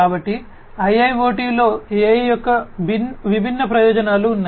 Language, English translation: Telugu, So, there are different advantages of AI in IIoT